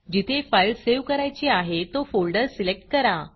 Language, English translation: Marathi, Select the file format in which you want your image to appear